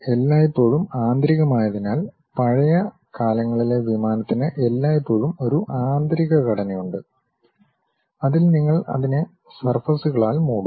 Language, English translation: Malayalam, Because, there always be internal, the olden days aircraft always be having internal structure; on that you will be covering it with surfaces